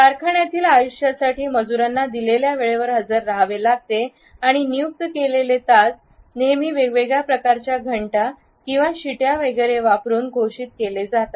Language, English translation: Marathi, The factory life required that the labor has to report at a given time and the appointed hour was always announced using different types of bells or whistles etcetera